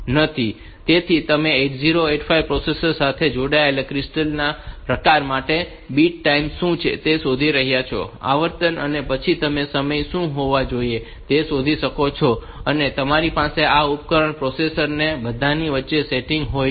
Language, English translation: Gujarati, So, you can write a small delay routine by you are finding out what is the bit time for the type of crystal that is connected to 8 5 processor it is the frequency and then you can find out what should be the timing; and you have to have this borate sitting between the device and the processor and all that